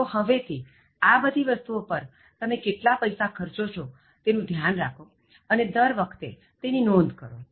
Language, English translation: Gujarati, So, now keep track of how much you are spending in all these things, make a note every time you spend